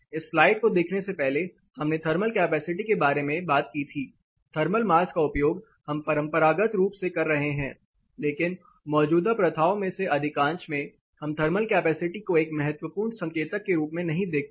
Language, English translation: Hindi, We talked about thermal capacity, use of thermal mass we have been traditionally doing, but most of the existing practices we do not look at thermal capacity as a crucial indicator